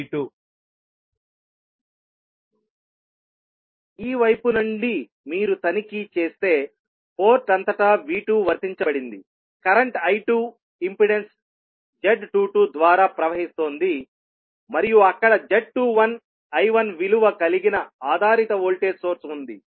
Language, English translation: Telugu, From this side, if you check that V2 is applied across the port, current I2 is flowing across the through the impedance Z22 and there is a dependent voltage source having value Z21 I1